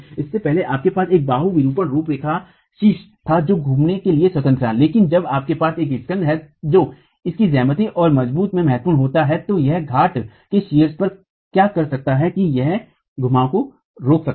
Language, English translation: Hindi, Earlier you had a cantilever deformation profile, top was free to rotate but when you have a spandrel which is significant in its geometry and strong then what it can do to the top of the pier is that it can prevent the rotations